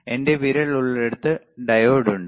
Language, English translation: Malayalam, Where my finger is there diode is there